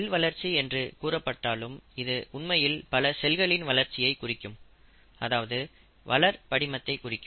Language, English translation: Tamil, It is referred to as cell growth, but actually means the growth of a population of cells or the growth of culture